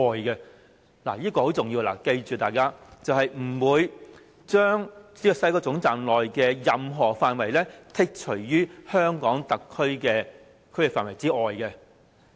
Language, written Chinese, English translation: Cantonese, "這是很重要的，大家請記住，是不會將西九龍總站內的任何範圍剔除於香港特區的區域範圍之外。, We have to keep in mind that this document says no area within the WKT will be carved out of the HKSARs territory